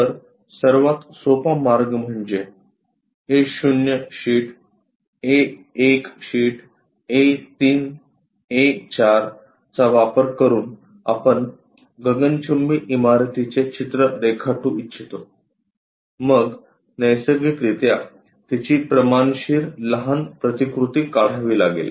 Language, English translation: Marathi, So, the easiest way is using our A naught sheet A 1 sheet A 3 A 4 this kind of sheets we would like to represent a skyscraper then naturally we have to scale it down